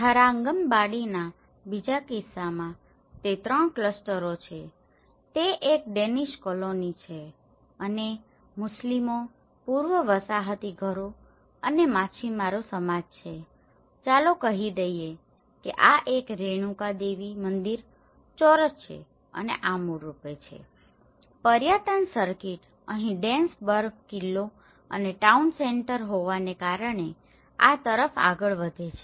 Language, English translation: Gujarati, In the second case of Tharangambadi, it is the three clusters one is the Danish colony, and the Muslims, the pre colonial houses and the fishermen society, letÃs say and this is a Renuka Devi temple square and this is basically, the tourism circuit goes on to this because of the Dansburg fort here and the town centre